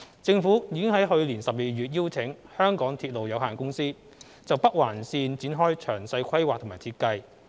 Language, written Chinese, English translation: Cantonese, 政府已於去年12月邀請香港鐵路有限公司就北環綫展開詳細規劃及設計。, In December last year the Government invited MTR Corporation Limited MTRCL to conduct the detailed planning and design of NOL